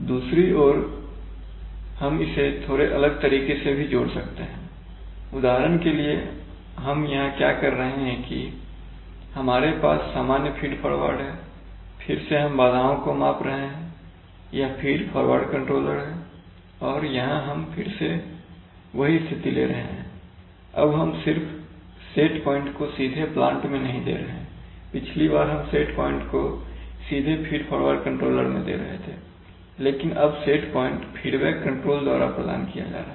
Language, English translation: Hindi, On the other hand we could also connect this in a slightly different way for example here what are we doing here we have the usual feed forward, again we are, again we are measuring the disturbance this is a feed forward controller and we are giving you here standard again the same situation, only now the set point we are not providing directly, previously we are providing the set point directly to the feed forward controller now the set point is being provided by the feedback control